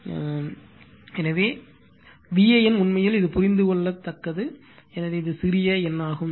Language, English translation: Tamil, So, my V an actually this again we make small n for your understanding, so it is small n